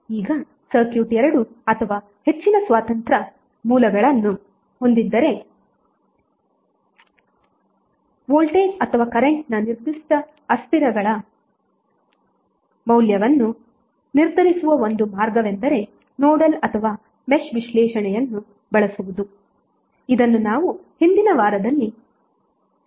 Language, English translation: Kannada, Now if a circuit has 2 or more independent sources the one way to determine the value of a specific variables that is may be voltage or current is to use nodal or match analysis, which we discussed in the previous week